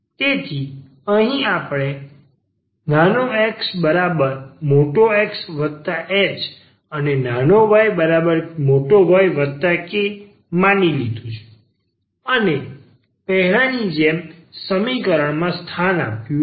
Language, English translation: Gujarati, So, here we assumed this x is equal to X plus h and y is equal to Y plus k and substitute in the equation as discussed before